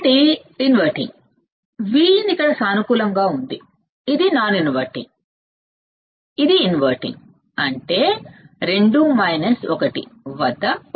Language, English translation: Telugu, So, the inverting; this is plus V in is positive here this is non this is non inverting this is inverting; that means, at 2 minus 1 is 1